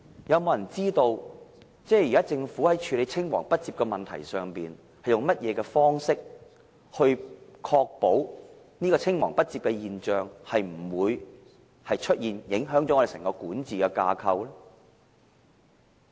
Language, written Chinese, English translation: Cantonese, 有沒有人知道現時政府在處理青黃不接的問題上，是用甚麼方式來確保這現象不會出現，不致影響整個管治架構呢？, Does anybody know as far as the problem of succession gap is concerned what measure has the Government put in place to ensure that would not happen and thereby not affecting the governance structure?